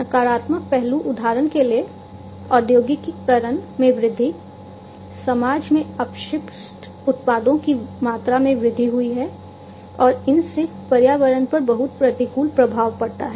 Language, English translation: Hindi, Negative aspects for example, the increase in industrialization, increased the amount of waste products in the society, and these basically have lot of adverse effects on the environment